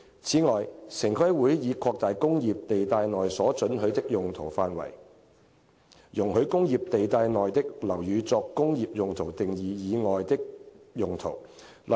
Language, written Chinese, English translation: Cantonese, 此外，城規會已擴大"工業"地帶內所准許的用途範圍，容許工業地帶內的樓宇作"工業用途"定義以外的用途。, Moreover TPB has widened the scope of uses that are permitted under the industrial zone so that uses falling outside the definition of industrial uses are allowed in buildings in the industrial zone